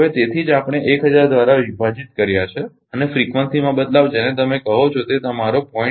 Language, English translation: Gujarati, So, that is why we have divided by 1000 and change in frequency actually your what you call that your 0